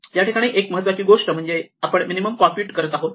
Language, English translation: Marathi, The important thing is we are computing minimum